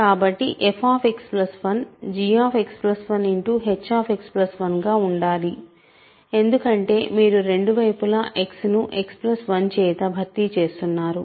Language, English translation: Telugu, So, f X plus 1 can has to be g X plus 1 times h X plus 1 because both sides you are replacing by X